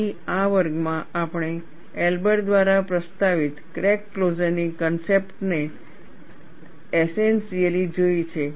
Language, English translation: Gujarati, So, in this class, we have essentially looked at concepts of crack closure proposed by Elber